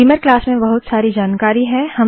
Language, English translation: Hindi, Beamer class has lots of information